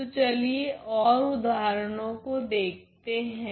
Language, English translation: Hindi, So, let us now look at further examples